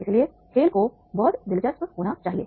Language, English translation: Hindi, So this game was very easy